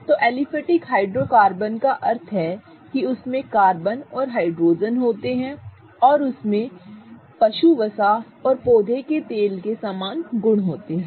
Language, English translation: Hindi, So, aliphatic hydrocarbons meaning they contain carbon and hydrogen and they have properties similar to that of animal fats or plant oils